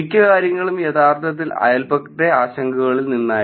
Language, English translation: Malayalam, Majority of the things were actually from the neighborhood concerns right